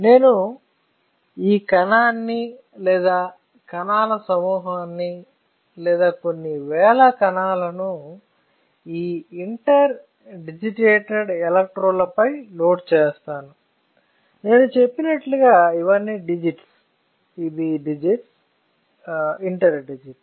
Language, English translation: Telugu, Same way if I load this cell on or group of cells or a few thousand cells on the interdigitated electrodes; like I said these are all digits, this is digits, interdigit right